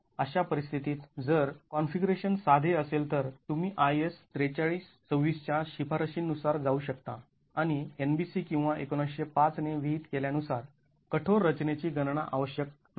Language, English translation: Marathi, In such a situation, if the configuration is simple, you can go by recommendations of IS 4326 and not have to go through rigorous design calculations as prescribed by NBC or 1905